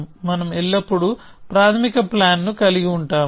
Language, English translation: Telugu, This will always be our initial plan